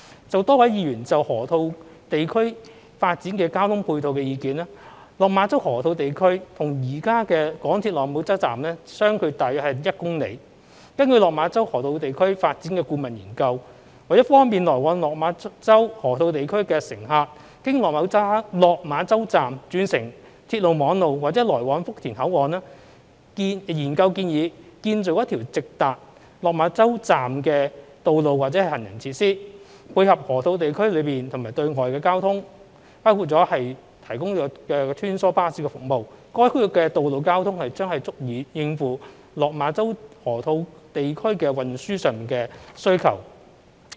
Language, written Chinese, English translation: Cantonese, 就多位議員就河套地區發展的交通配套的意見，落馬洲河套地區與現有港鐵落馬洲站相距大約1公里，根據落馬洲河套地區發展的顧問研究，為方便來往落馬洲河套地區的乘客經落馬洲站轉乘鐵路網絡或來往福田口岸，研究建議建造一條直達落馬洲站的道路或行人設施，配合河套地區內和對外的公共交通服務，包括提供穿梭巴士服務，該區的道路交通將足以應付落馬洲河套地區的運輸需求。, Concerning various Members views about the ancillary transport facilities in the development of the Loop Lok Ma Chau Loop is about 1 km away from the existing Lok Ma Chau MTR Station . According to the consultancy study of the development of Lok Ma Chau Loop in order to facilitate passengers travelling to and from Lok Ma Chau Loop to change to railway network or access the Futian port via Lok Ma Chau Station the construction of a direct road or pedestrian facility to the Lok Ma Chau Station is proposed . Complemented by the internal and external public transport services of the Loop including the provision of shuttle bus services the road transport of the area will suffice to meet the transportation demand in Lok Ma Chau Loop